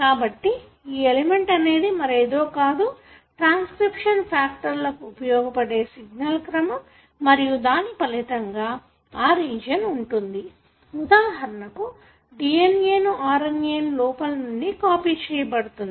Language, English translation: Telugu, So, this element is nothing but a signal sequence for certain transcription factors to come and bind and as a result, the region from here to here, for example in the DNA, is copied into an RNA